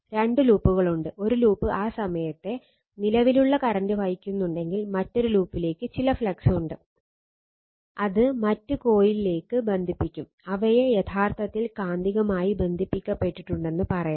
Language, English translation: Malayalam, Then two loops are there, if one loop is carrying that your what you call that time varying current, and another loop that some flux will be it will links some flux to the other coil right, and they are said to be actually magnetically coupled